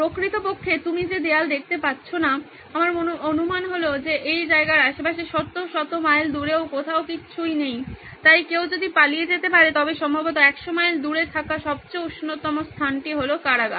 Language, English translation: Bengali, In fact the fact that you don’t see walls, my guess is that there’s nothing for hundreds and hundreds of miles around this place so even if someone would were to escape probably the warmest place that is there for 100’s of miles is the prison